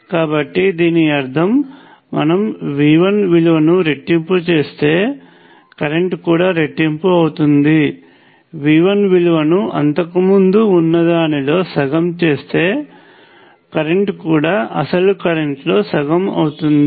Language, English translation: Telugu, So, this obviously means that if you double the value of V 1, you will get double the current, if you make the value V 1 half of what it was before, it gives you half the original current and so on